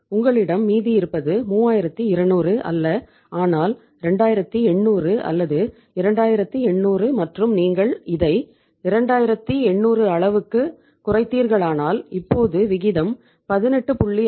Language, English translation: Tamil, You are left with not 3200 but 2800 or 2800 and if you have brought it down to 2800 so it means now the ratio is 18